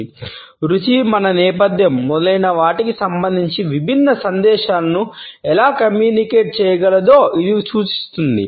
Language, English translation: Telugu, It looks at how taste can communicate different messages regarding our background, our preferences, our cultural background etcetera